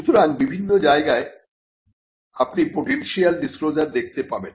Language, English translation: Bengali, So, you could find you could look for potential disclosures in a variety of places